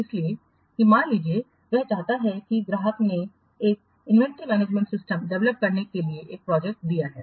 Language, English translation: Hindi, So because suppose he wants to the customer has given a project to develop an inventory management system